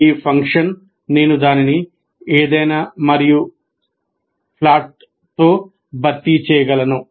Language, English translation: Telugu, This function, I can replace it by anything and plot